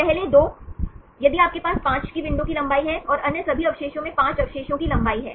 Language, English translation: Hindi, First 2, if you have a window length of 5, and all other residues take a 5 residues length